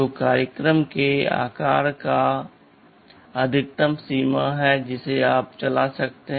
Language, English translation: Hindi, So, there is a maximum limit to the size of the program that you can run